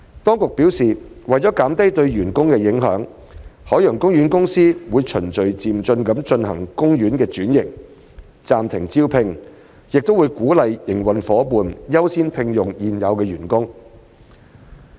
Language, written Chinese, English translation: Cantonese, 當局表示，為減低對員工的影響，海洋公園公司會循序漸進地進行海洋公園的轉型、暫停招聘，亦會鼓勵營運夥伴優先聘用現有員工。, The authorities have advised that OPC will carry out the transformation of OP in a gradual manner with a view to reducing the impact on its employees . Apart from adopting hiring freezes OPC will also encourage its operating partners to give priority to hiring the existing employees